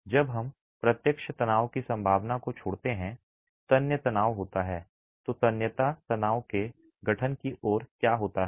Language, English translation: Hindi, Tensile stresses when we exclude the possibility of direct tension, what leads to the formation of tensile stresses